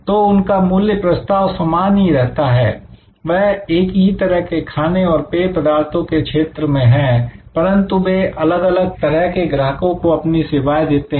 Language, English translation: Hindi, So, their value proposition remains the same, they are in the same kind of food and beverage business, but they serve number of different types of customers